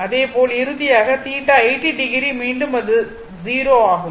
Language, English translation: Tamil, And finally, when it will come theta is 80 degree again it is 0